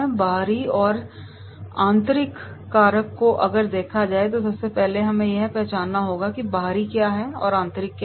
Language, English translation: Hindi, The external and internal factors that we will see, so what is the external and what is internal